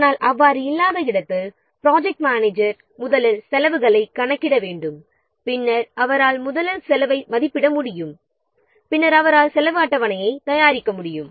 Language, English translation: Tamil, But where this is not the case, then the project manager you will have to first calculate the cost, then he can or first estimate the cost, then he can prepare the cost scheduled